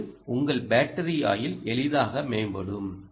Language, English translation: Tamil, your battery life simply improves